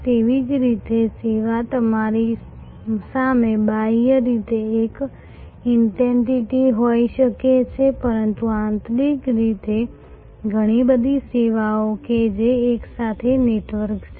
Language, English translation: Gujarati, Similarly, a service may be externally one entity in front of you, but internally a plethora of services which are networked together